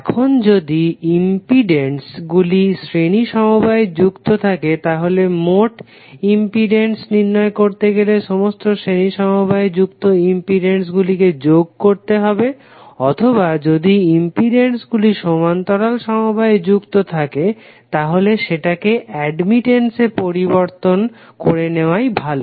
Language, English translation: Bengali, Now, law of in impedance is in series and parallel are like when you want to find out the total impedance in a series connected it will be summation of all the impedances connected in series or if you have the parallel connected then better to convert impedance into admittance